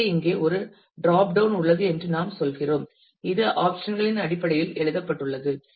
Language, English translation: Tamil, So, we are saying that here is a drop down and it is written out here in terms of options